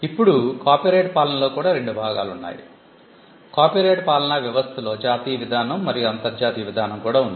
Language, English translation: Telugu, Now, the copyright regime similarly had two parts; there was a national evolution of the copyright regime and also the international evolution